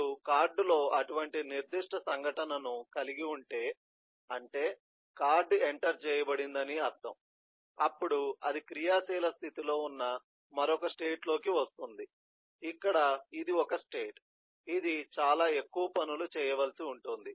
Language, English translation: Telugu, but then, eh, if you have a specific event, like in card, which means a card is entered, then it gets into another state, which is active state, where this is a state where it is supposed to do a whole lot of things